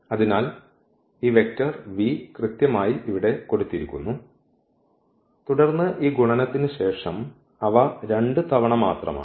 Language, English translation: Malayalam, So, this vector v which is given here as is exactly this one and then the Av after this product it is just the 2 times